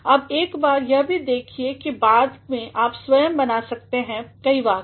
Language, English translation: Hindi, Now, have a look at this and then later you can yourself create several sentences